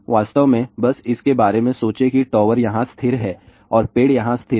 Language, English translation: Hindi, In fact, just think about it that the tower is stationary here and the tree is stationary here